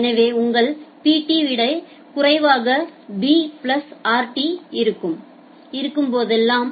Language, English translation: Tamil, So, whenever your Pt is less than b plus rt